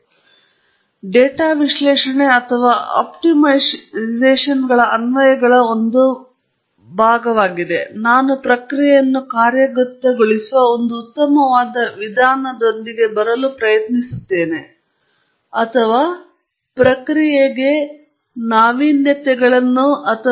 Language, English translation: Kannada, That’s also a part of the applications of the data analysis or optimization, I am trying to come up with an optimized way of operating a process, or making innovations or changes to the process